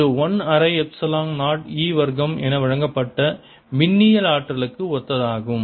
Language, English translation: Tamil, this is similar to the electrostatic energy which was given as one half epsilon zero e square